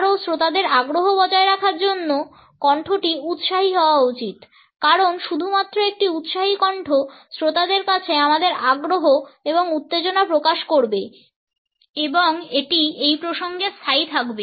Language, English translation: Bengali, Further in order to maintain the interest of the audience the voice should be enthusiastic because only an enthusiastic voice would convey our interest and excitement to the audience and it would be in fixtures in this context